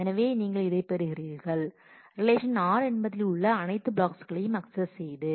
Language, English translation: Tamil, So, you get this and you have to access all the blocks of relation r